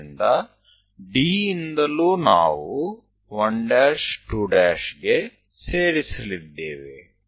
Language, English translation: Kannada, So, from D also we are going to join 1 prime, 2 prime